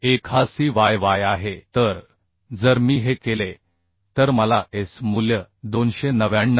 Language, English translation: Marathi, 1 is the Cyy so if I make this I can get the S value as 299